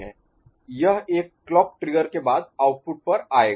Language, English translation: Hindi, It will come to the output after one clock trigger